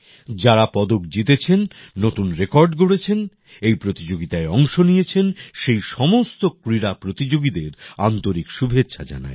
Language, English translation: Bengali, I congratulate all the players, who won medals, made new records, participated in this sports competition